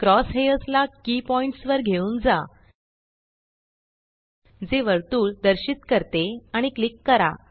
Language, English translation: Marathi, Move the cross hairs to a key point that indicates the circle and click